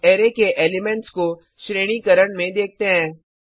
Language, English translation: Hindi, Now let us look at sorting the elements of the array